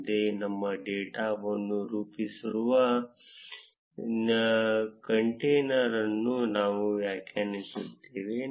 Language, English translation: Kannada, Next, we define a container that will render our data